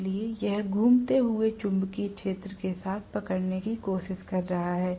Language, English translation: Hindi, So it is trying to catch up with the revolving magnetic field